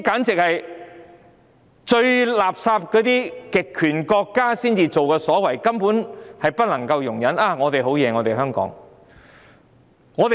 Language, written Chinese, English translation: Cantonese, 這是最垃圾的極權國家的行為，完全不能容忍，但居然在香港發生。, Such was the most despicable behaviour in totalitarian states which should not be tolerated at all . However it happened in Hong Kong